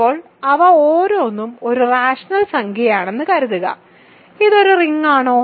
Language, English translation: Malayalam, Now, write each of them is a rational number, is this a ring